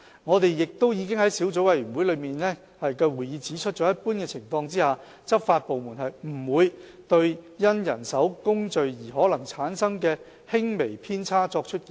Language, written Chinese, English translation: Cantonese, 我們已在小組委員會的會議上指出，在一般情況下，執法部門不會對因人手工序而可能產生的輕微偏差作出檢控。, We have pointed out at a meeting of the Subcommittee that under normal circumstances the law enforcement departments will not institute prosecution against cases involving slight deviation probably arising from manual procedures